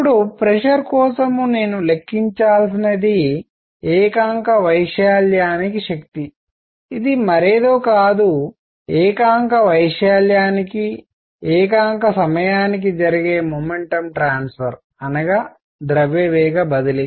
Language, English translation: Telugu, Now, for pressure what I need to calculate is force per unit area which is nothing, but momentum transfer per unit time; per unit area